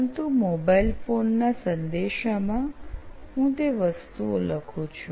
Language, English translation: Gujarati, But mobile phone, in message I type those things